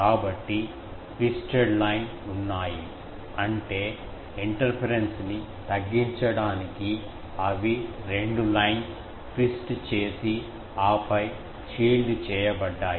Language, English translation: Telugu, So, there were twisted line; that means, two lines they are twisted to reduce the interference and then that was shielded